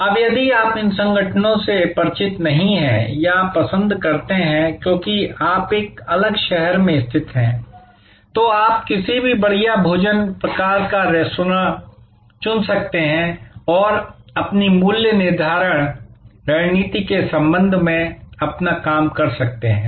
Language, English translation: Hindi, Now, if you are not familiar with these organizations or you prefer, because you are located in a different city, you can choose any fine dining sort of restaurant and do your assignment with respect to their pricing strategy